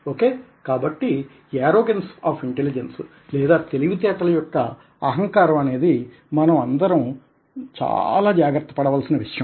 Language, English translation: Telugu, ok, so the arrogance of intelligence is something which has to be taken care of by all of us